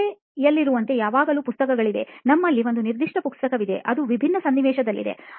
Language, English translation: Kannada, Like in school there is always books, you have a particular book that is different scenario